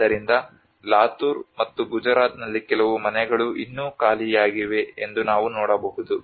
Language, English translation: Kannada, So for instance in Latur and Gujarat we can see even some of the houses still or empty unoccupied